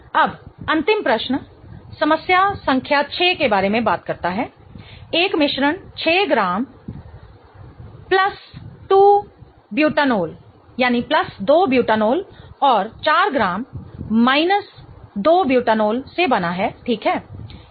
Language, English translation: Hindi, Now, the last question problem number 6 talks about a mixture is composed of 6 gram of plus 2 butinol and 4 gram of minus 2 butinol